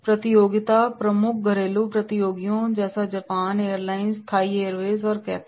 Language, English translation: Hindi, Competition is the key domestic competitors are Japan airlines, Thai Airways and Cathay